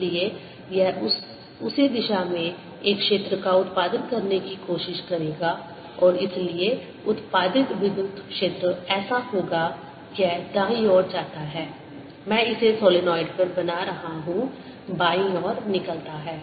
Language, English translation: Hindi, so it'll try to produce a field in the same direction and therefore the electric field produced will be such that it goes in on the right side i am making it on the solenoid and comes out on the left side